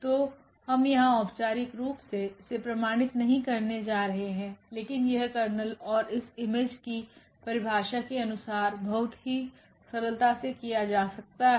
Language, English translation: Hindi, So, we are not going to formally prove this here, but this is very simple as per the definition of the kernel and this image